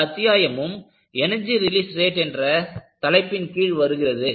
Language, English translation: Tamil, So, this will be followed by Energy Release Rate